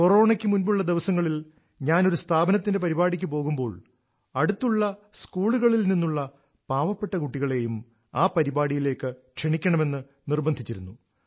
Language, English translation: Malayalam, Before Corona when I used to go for a face to face event at any institution, I would urge that poor students from nearby schools to be invited to the function